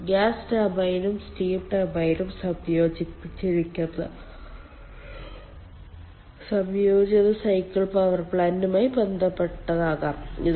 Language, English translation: Malayalam, it could be there in connection with a combined cycle power plant, where a gas turbine and the steam turbine is combined